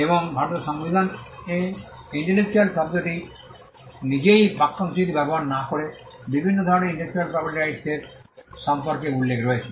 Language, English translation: Bengali, And the Constitution of India does mention about the different types of intellectual property rights without using the phrase intellectual property itself